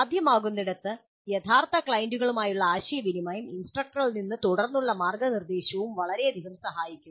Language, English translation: Malayalam, Interactions with real clients were possible and subsequent guidance from instructor would be of great help